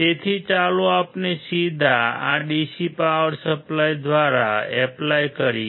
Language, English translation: Gujarati, So, let us directly apply through this DC power supply